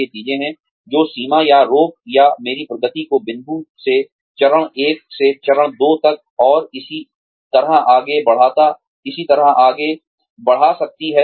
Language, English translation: Hindi, These are the things, that could limit, or stop, or impede, my progress from point, from step one to step two, and so on